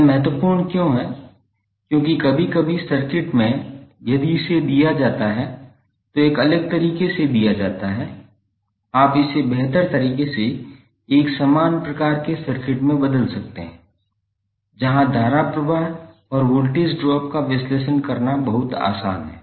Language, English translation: Hindi, Why it is important because sometimes in the circuit if it is given a the figure is given in a different way you can better convert it into a similar type of a circuit where it is very easy to analysis the current flow and the voltage drop across the element